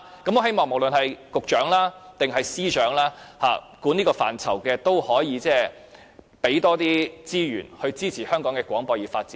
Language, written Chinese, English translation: Cantonese, 我希望無論是局長或司長，所有負責這範疇的官員，請他們提供更多資源，以支持香港的廣播業發展。, I hope that all public officials responsible in this area whether they are Secretaries of Departments and Directors of Bureaux will provide more resources to support the development of RTHK